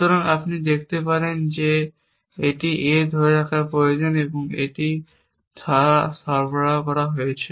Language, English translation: Bengali, So, you can see that this needs holding A and that is provided by this